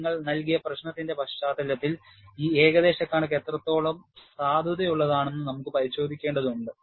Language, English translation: Malayalam, We will have to verify, how good this approximation is valid, in the context of your given problem